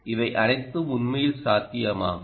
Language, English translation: Tamil, all this is actually possible